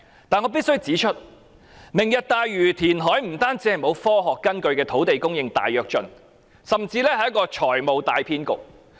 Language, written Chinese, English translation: Cantonese, 但是，我必須指出，"明日大嶼"填海不單是沒有科學根據的土地供應大躍進，甚至是財務大騙局。, However I must point out that reclamation for Lantau Tomorrow is not only an unscientific great leap forward of land supply but also a huge financial swindle